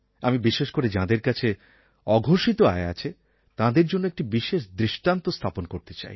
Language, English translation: Bengali, And now I want to cite an example especially for those people who have undisclosed income